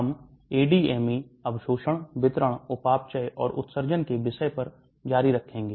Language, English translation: Hindi, We will continue on the topic of ADME, absorption, distribution, metabolism and excretion